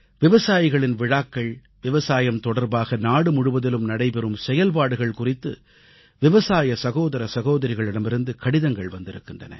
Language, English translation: Tamil, Our farmer brothers & sisters have written on Kisan Melas, Farmer Carnivals and activities revolving around farming, being held across the country